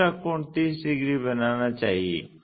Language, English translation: Hindi, The other angle supposed to make 30 degrees